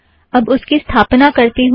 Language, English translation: Hindi, Let me install it